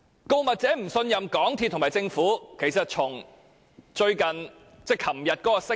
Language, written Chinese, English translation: Cantonese, 告密者不信任港鐵公司和政府，可見於最近一項聲明。, The whistle - blowers distrust of MTRCL and the Government is reflected in a recent statement